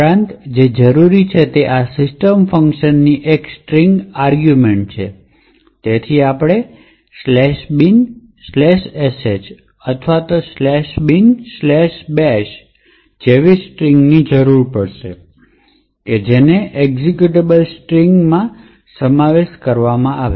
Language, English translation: Gujarati, Also what is required is a string argument to this system function, so we will require string such as /bin/sh or /bin/bash, which is a string comprising of an executable